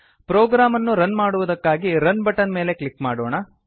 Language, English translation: Kannada, Lets click on the Run button to run the program